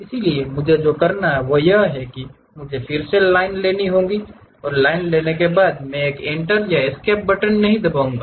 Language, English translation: Hindi, So, what I have to do is I do not have to really pick again line because I did not press any Enter or Escape button